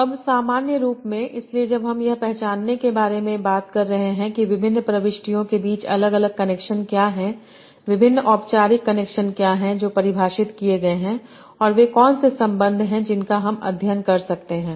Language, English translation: Hindi, Now in general, so when I am talking about identifying what is the connections of different between different entities, what are the various formal connections that have been defined